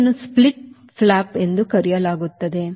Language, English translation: Kannada, this is called the split flap